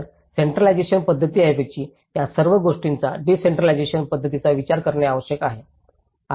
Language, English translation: Marathi, So, all this instead of centralized approach, we need to think of the decentralized approaches